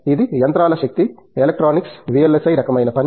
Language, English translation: Telugu, It’s machines power, electronics, VLSI kind of work